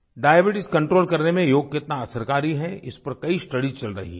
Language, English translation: Hindi, There are several studies being conducted on how Yoga is effective in curbing diabetes